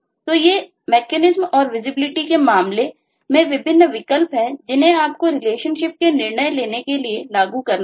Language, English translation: Hindi, so these are the different choices in terms of mechanism and visibility that you will need to apply to decide on the relationship